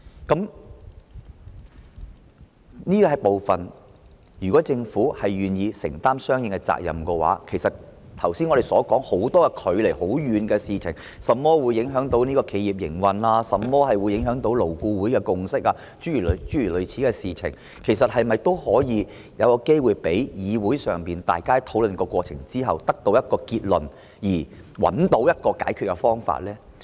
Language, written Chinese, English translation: Cantonese, 就這個部分，如果政府願意承擔相應的責任，其實我們剛才說很多距離很遠的事情，例如影響企業營運、影響勞顧會共識等事情，是否也可以有機會讓議會經過討論後得出一個結論，並找到一個解決方法呢？, In this respect if the Government is willing to take on responsibility will there be an opportunity for the Council to reach a conclusion after discussion and find a solution to the numerous distant matters that we talked about earlier such as the impact on business operation and LABs consensus?